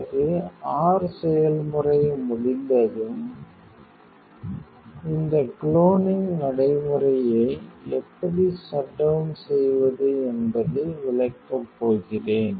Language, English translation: Tamil, Once your process is over, I am going to explain how to shut down this closing procedure